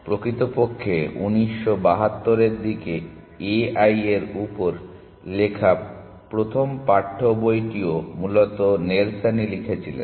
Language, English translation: Bengali, In fact, the first text book on a i written around nineteen seventy two also was written by Nelson essentially